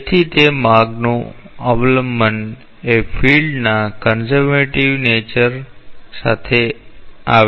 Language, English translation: Gujarati, So, that path dependence comes from the conservative nature of the field